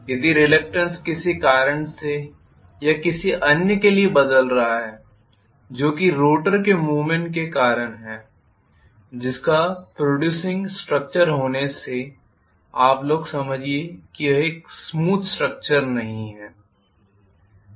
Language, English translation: Hindi, If the reluctance is changing for some reason or the other maybe because of the movement of the rotor which is having protruding structure, you guys understand it is not a smooth structure